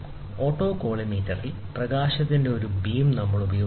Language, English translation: Malayalam, So, in autocollimator, we use a beam of collimated light